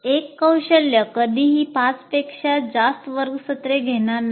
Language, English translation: Marathi, So one competency is, will never take more than five classroom sessions